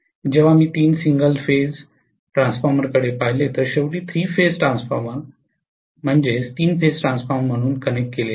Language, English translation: Marathi, Whereas if I look at three single phase Transformers connected ultimately as the three phase transformer ok